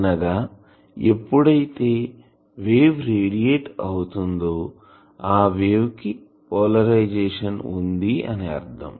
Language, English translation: Telugu, That means whatever wave it is radiating, the polarisation is for that